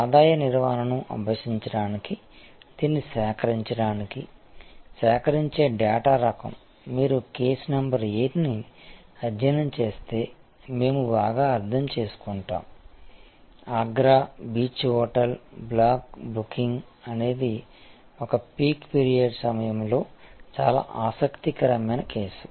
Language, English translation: Telugu, And the kind of data that one as to collect to make this to practice revenue management we will understand quite well if you study case number 8, which is the Agra beach hotel block booking of capacity during a peek period very interesting case